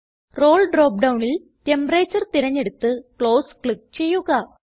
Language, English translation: Malayalam, In the Role drop down, select Temperature and click on Close